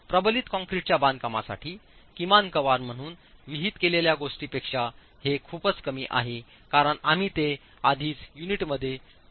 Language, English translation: Marathi, This is far lesser than what is prescribed as minimum cover for reinforced concrete construction, primarily because we are already placing it within the unit